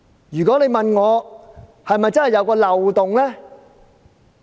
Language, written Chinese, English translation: Cantonese, 如果有人問我，《條例》是否真的有漏洞？, If someone asks me whether there is a loophole in the Ordinance I would say yes